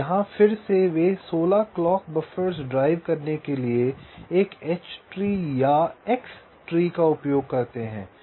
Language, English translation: Hindi, so here again they use an h tree or an x tree to drive sixteen clock buffers and this clock buffers drive a global clock mesh